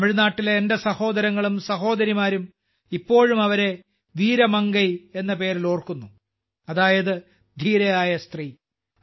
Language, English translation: Malayalam, My brothers and sisters of Tamil Nadu still remember her by the name of Veera Mangai i